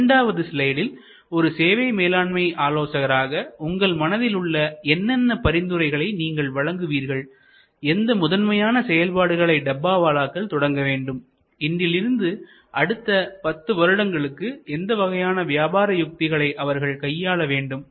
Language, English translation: Tamil, And in the next slide, I would like you to therefore recommend as the service management expert that what will be in your opinion, what should be the key initiatives, the Dabbawala should take, how should they prepare themselves for the future, how will they strategies to be as relevant 10 years from now as they are today